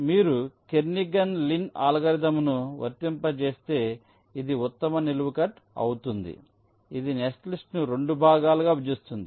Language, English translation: Telugu, if you apply kernighan lin algorithm, this will be the best vertical cut, which is dividing the netlist into two parts